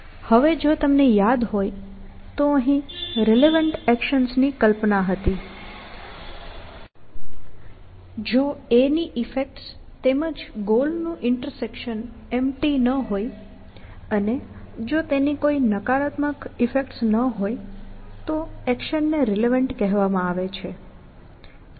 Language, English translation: Gujarati, Now, if you remember, we had this notion of relevant action here, and the action was said to be relevant, if the effect of a; intersection goal was not empty, and if it has no negative effects, which kind of, distracted the goal